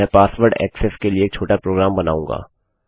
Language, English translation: Hindi, Ill create a little program for a password access